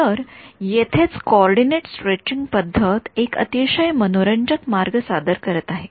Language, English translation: Marathi, Now here itself is where the coordinate stretching approach presents a very interesting way